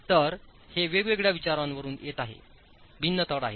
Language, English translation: Marathi, So these are coming from different considerations, have different basis